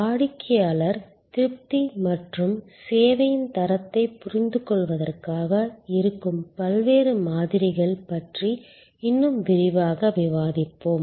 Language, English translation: Tamil, We will discussion in lot more detail about the various models that are there for understanding customer satisfaction and quality of service